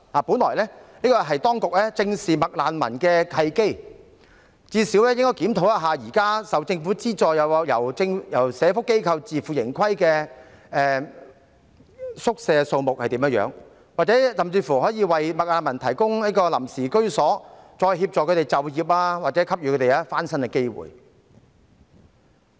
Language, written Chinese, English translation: Cantonese, 本來這是當局正視"麥難民"問題的契機，至少應該檢討一下現時受政府資助或由社會福利機構自負盈虧的宿舍數目，甚至為"麥難民"提供臨時居所，再協助他們就業或給予翻身的機會。, This could have been a good opportunity for the authorities to squarely address the issue of McRefugees . At least they should review the number of hostels currently subsidized by the Government or operated by social welfare organizations on a self - financing basis . They should even provide temporary accommodation for McRefugees and then help them seek employment or give them an opportunity to turn over a new leaf